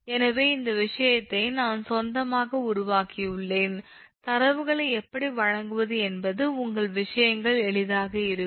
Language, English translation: Tamil, so this thing i have made it of my own that how to give the data such that your things will easier, right